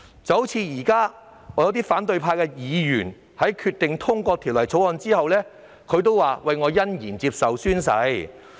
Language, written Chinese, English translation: Cantonese, 現時，有些反對派議員表示會在《條例草案》通過後欣然宣誓。, At present some DC members from the opposition camp have indicated that they are glad to take the oath upon the passage of the Bill